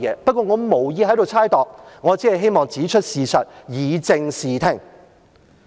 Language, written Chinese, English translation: Cantonese, 不過，我無意在此猜度，我只希望指出事實，以正視聽。, However I do not intend to make a guess here . I just want to point out the facts in order to set the record straight